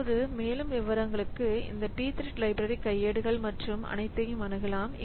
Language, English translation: Tamil, Now, for more detail so you can consult this p thread library, the manuals and all